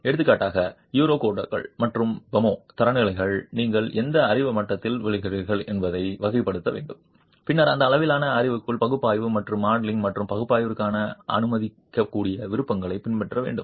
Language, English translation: Tamil, The Eurocodes, for example, and the FEMA standards require that you classify into which knowledge level you would fall and then adopt the allowable options for analysis and modeling and analysis within that level of knowledge